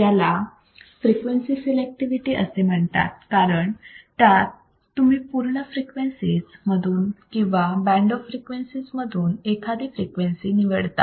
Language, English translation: Marathi, It is also called frequency selectivity because you are selecting a particular frequency from the band of frequencies or from the total frequencies